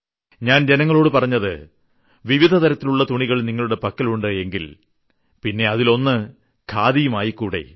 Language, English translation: Malayalam, When I told people that you have so many different types of garments, then you should have khadi as well